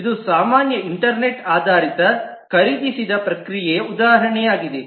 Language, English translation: Kannada, This is just an example of a typical internet based purchased process